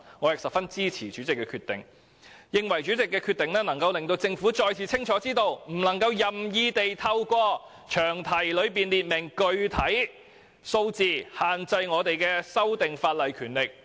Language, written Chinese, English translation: Cantonese, 我十分支持主席的決定，認為有關決定可讓政府再次清楚知道，不可任意透過在詳題中列明具體數字而限制議員修訂法例的權力。, I strongly support the ruling of the President and consider that the ruling has made it clear to the Government once again that it cannot arbitrarily specify a number in the long title to restrict Members power of amending a bill